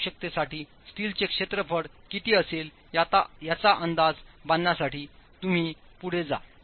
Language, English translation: Marathi, Now you will proceed to estimate what the area of steel would be for this requirement